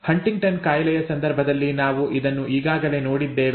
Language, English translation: Kannada, We have already seen this in the case of Huntington’s disease, okay